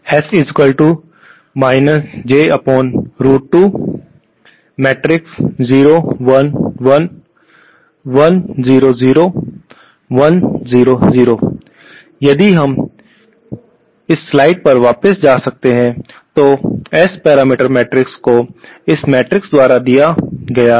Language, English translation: Hindi, If we can go back to our slides please, the S parameter matrix is given by this matrix